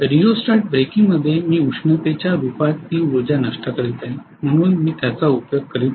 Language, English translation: Marathi, Whereas in rheostatic breaking I am dissipating that energy in the form of heat, so I am not utilizing it